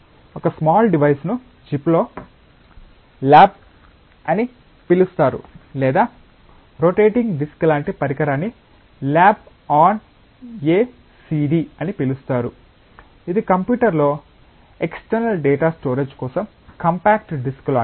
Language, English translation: Telugu, So, one can have small devices which are called as lab on a chip or a device which is like a rotating disk that is called as lab on a CD it is like the compact disk of for external data storage in a computer